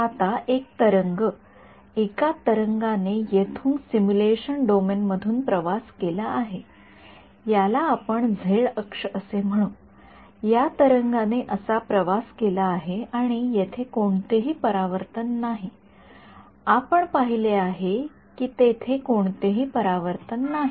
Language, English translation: Marathi, Now a wave that is travelling a wave has travelled from a simulation domain over here let us call this the z axis a wave has travelled like this is and there is no reflection as we have seen there is no reflection